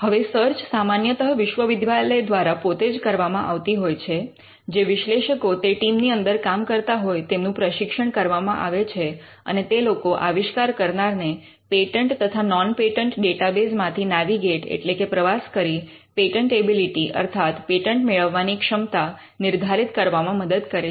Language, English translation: Gujarati, Now, the search is normally done in house; the analysts who work within the team are trained and they help the inverter inventors navigate and use patent and non patent databases to ascertain patentability